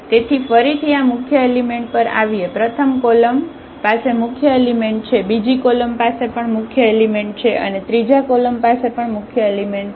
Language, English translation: Gujarati, So, getting again back to this pivot elements so, the first column has a pivot, second column has also pivot element and the third column also has a pivot element